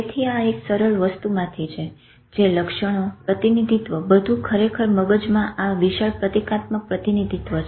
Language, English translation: Gujarati, So this this is from a simple item its attributes, representation, everything really boils down to this huge symbolic representation in the brain